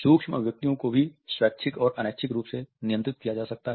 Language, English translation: Hindi, Micro expressions can also be controlled voluntary and involuntary